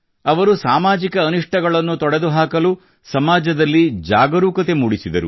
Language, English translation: Kannada, He also made the society aware towards eliminating social evils